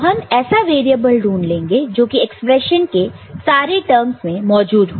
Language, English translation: Hindi, So, we will generally look for the variable which is present in almost all the terms that you see in the expression